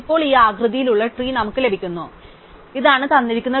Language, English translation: Malayalam, So, then we get this tree which has now this shape, this is a given tree